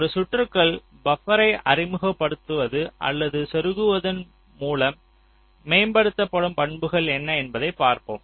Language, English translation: Tamil, lets see what are the characteristics that get improved by introducing or inserting buffers in the circuit